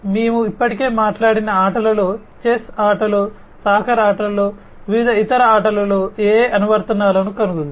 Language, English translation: Telugu, In games we have already talked about, in chess game, in soccer games, in different other games, right, AI has found applications